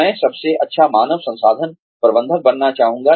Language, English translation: Hindi, I would like to be, the best human resources manager